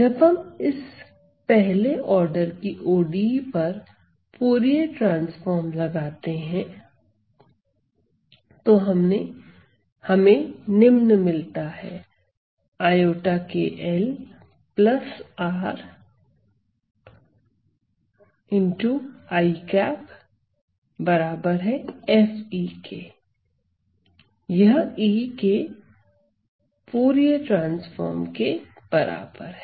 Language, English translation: Hindi, So, once we apply the Fourier transform to this 1st order ODE I get the following I get that this is also equal to